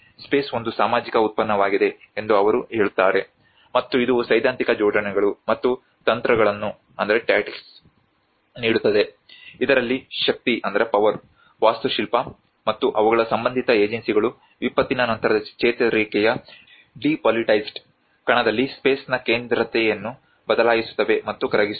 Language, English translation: Kannada, He says the space is a social product, and it offers a theoretical assemblages and tactics in which power, architecture, and also their associated agencies alter and potentially dissolve the centrality of space in the depoliticized arena of post disaster recovery